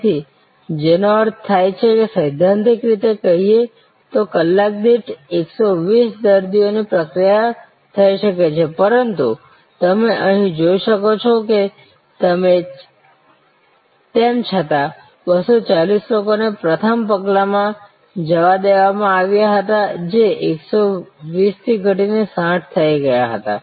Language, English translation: Gujarati, So, which means theoretically speaking 120 patients could be processed per hour, but as you can see here even though 240 people were let through the first step that drop to 120 that drop to 60